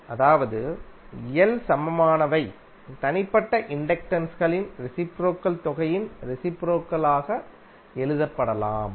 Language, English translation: Tamil, That means that L equivalent can be simply written as reciprocal of the sum of the reciprocal of individual inductances, right